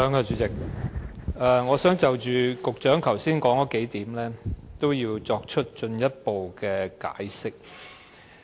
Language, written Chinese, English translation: Cantonese, 主席，我想就局長剛才提出的幾點作進一步解釋。, Chairman I would like to further explain the few points just raised by the Secretary